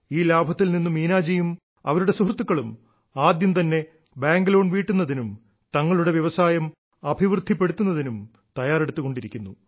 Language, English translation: Malayalam, With this profit, Meena ji, and her colleagues, are arranging to repay the bank loan and then seeking avenues to expand their business